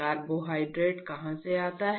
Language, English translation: Hindi, Where does carbohydrate come from